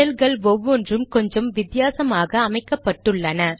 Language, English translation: Tamil, Different shells are customized in slightly different ways